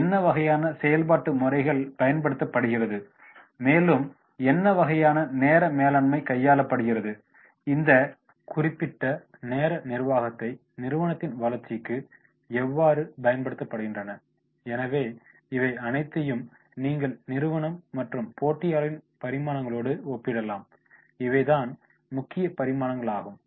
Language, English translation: Tamil, What type of method is been used for operation methods and then what type of the time management or minutes are there, how they are making the use of this particular time management for the benefiting to the organization, so all this you can compare the key dimensions, these are the key dimensions that is the resources which we can compare with company and the competitors